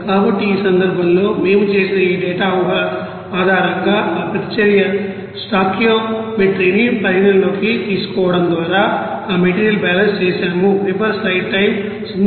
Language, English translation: Telugu, So, in this case based on this data assumptions we have done, that material balance by considering that reaction stoichiometry